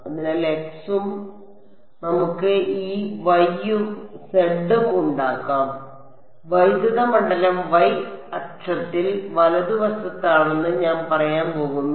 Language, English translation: Malayalam, So, x and let us make this y and z and I am going to say that electric field is along the y axis right